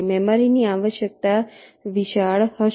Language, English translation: Gujarati, ok, memory requirement will be huge